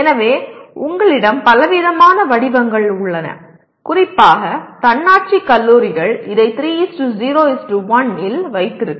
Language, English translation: Tamil, So you have variety of formats available especially the autonomous colleges can take a great advantage of this like you can have 3:0:1